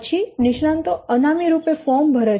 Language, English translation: Gujarati, Then the experts fill out the firms anonymously